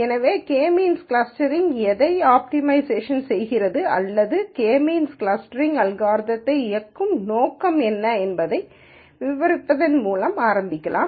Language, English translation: Tamil, So, let us start by describing what K means clustering optimizes or what is the objective that is driving the K means clustering algorithm